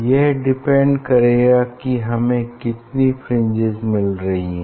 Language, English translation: Hindi, it will depend on that, how many fringe you are getting